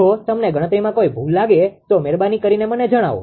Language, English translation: Gujarati, If you find any mistake in calculation you just please let me know